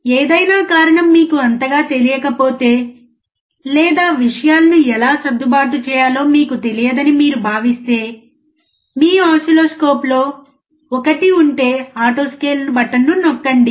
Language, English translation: Telugu, In case out of any reason you are not so familiar or you feel that you don’t know how to adjust the things, just press auto scale button if there is one on your oscilloscope